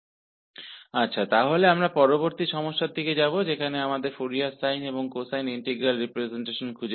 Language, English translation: Hindi, Well, so, we will move to the next problem, where we have to find Fourier sine and cosine integral representation